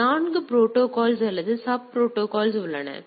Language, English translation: Tamil, So, there also 4 protocols or sub protocols are there